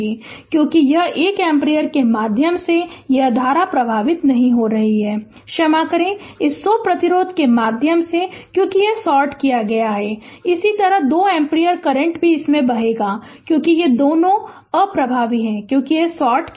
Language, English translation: Hindi, So, because it will this this current will not flow through this 1 ampere ah sorry through this 100 ohm resistance, because it is sorted and similarly this 2 ampere current also will flow through this, because these two are ineffective, because it is sorted